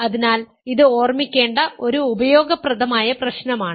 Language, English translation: Malayalam, So, this is a useful problem to keep in mind